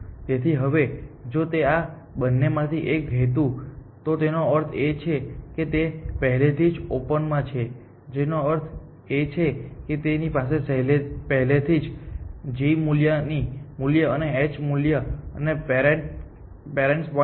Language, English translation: Gujarati, So, now, if this one of these two was m, it means it is on already in open which means it is already has a g value and h value and a parent point